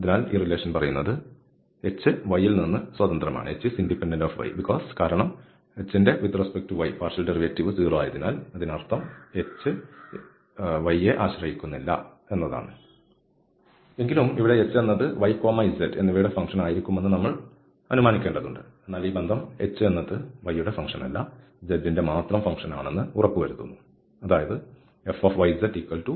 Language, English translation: Malayalam, So what this relation says that h is independent of y h does not depend on y though here we have assume that h can be a function of y and z, but this relation makes sure that h is a function of z alone, it is not a function of y that means h can be a function of z only not the function of y